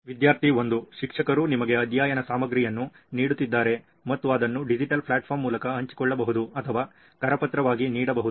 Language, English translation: Kannada, As in if a teacher is giving you a study material and it can either be shared via digital platform or given as a handout